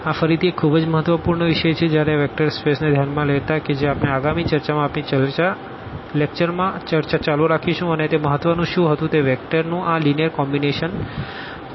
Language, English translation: Gujarati, This is again a very important topic when while considering the vector spaces which we will continue our discussion in the next lecture and what was important that this linear combination of the vectors lambda 1 v 1 plus lambda 2 v 2 plus lambda n v n is equal to 0